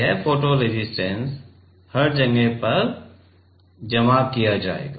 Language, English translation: Hindi, It will be photo resist will be deposited on everywhere